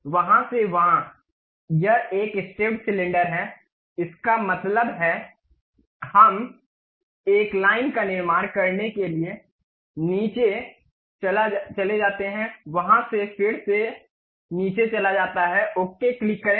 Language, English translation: Hindi, From there to there, draw it is a stepped cylinder that means, we have to construct a line goes down, from there again goes down, click ok